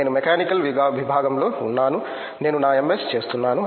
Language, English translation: Telugu, I am in Mechanical Department, I am doing my MS